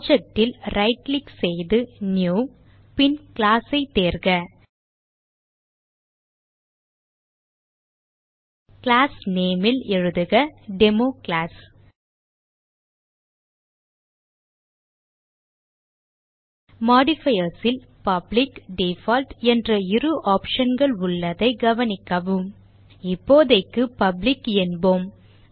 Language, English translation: Tamil, Right click on the project, New and select class In the class name, give DemoClass Notice that in modifiers, we have two options, public and default For now leave it as public